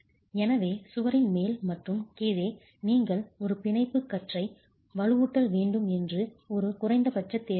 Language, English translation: Tamil, So, at the top and the bottom of the wall, a minimum requirement that you have a bond beam reinforcement